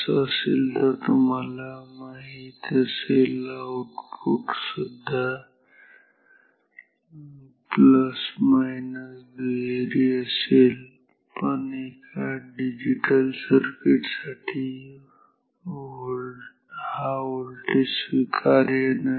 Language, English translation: Marathi, If so, then you know this output will be plus minus dual volt or, but for a digital circuit may be dual volt is not acceptable